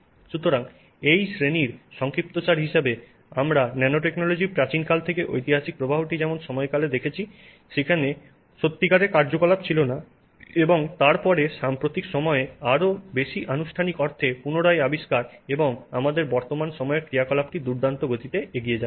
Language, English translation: Bengali, So, in summary, in this class we have seen the historic flow of nanotechnology from ancient days to periods where there was no real activity and then rediscovery in recent times in a much more formal sense and our present day activity which is you know tremendous